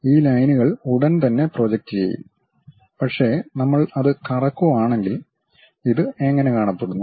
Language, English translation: Malayalam, These lines will be projected straight away; but if we are revolving it, how it looks like